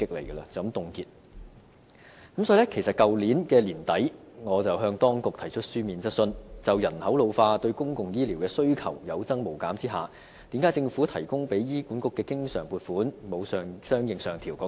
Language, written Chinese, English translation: Cantonese, 因此，我在去年年底向當局提出書面質詢，詢問政府在人口老化對公共醫療的需求有增無減的情況下，為何提供給醫管局的經常撥款沒有相應上調？, In this connection at the end of last year I put a written question to the Government asking it why despite the ever growing demand for public health care services associated with population ageing the recurrent funding for HA had not increased correspondingly